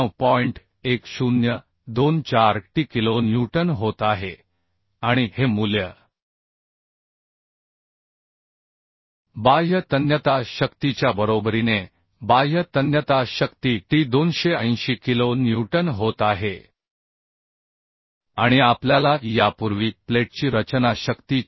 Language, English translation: Marathi, 1024t kilonewton and this value has to be equal to the external tensile force External tensile force T is becoming 280 kilonewton and we have found the design strength of the plate is 454